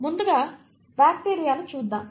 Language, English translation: Telugu, Let us look at bacteria first